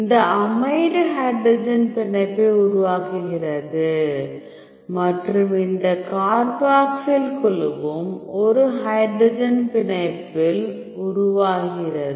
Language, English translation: Tamil, So, this amide forms the hydrogen bond and this carboxyl group also forms in a hydrogen bond